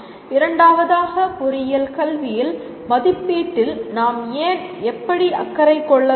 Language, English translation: Tamil, And second one is why do we need to be concerned with assessment in engineering education and how